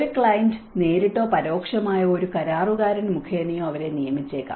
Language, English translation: Malayalam, They may be employed directly by a client or indirectly through a contractor